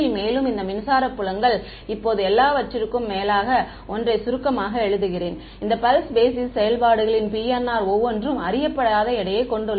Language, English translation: Tamil, And, I write this electric field now as a summation over all of these pulse basis functions PNR each of them having an unknown weight u n right